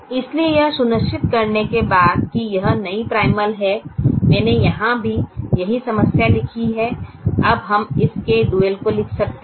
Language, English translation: Hindi, after we have make sure i have written the same problem here, now we can write the dual of this